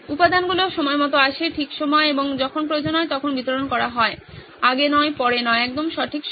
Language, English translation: Bengali, The components come on time, just in time and get delivered when it is needed, not before, not after but just in time